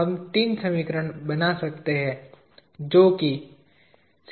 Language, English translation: Hindi, Three equations can be formed